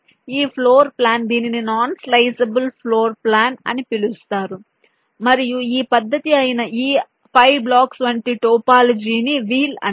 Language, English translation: Telugu, this is something which is called a non sliceable floor plan and a topology like this, five blocks which are oriented in this fashion